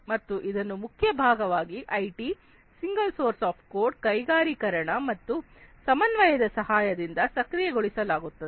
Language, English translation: Kannada, And this will be enabled with the help of different key parts such as IT, single source of truth, industrialization, and coordination